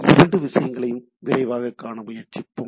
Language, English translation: Tamil, We will try to see that both the things quickly